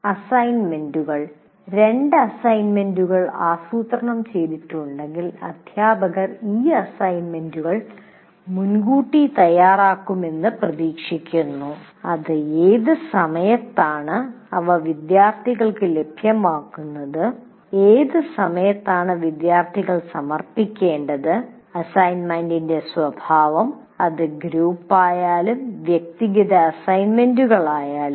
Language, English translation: Malayalam, Let's say you are planning to give two assignments and the teacher is expected to prepare these assignments in advance and at what time they would be made available to the students and by what time the students need to submit and the nature of assignments whether it is group or individual assignments and so on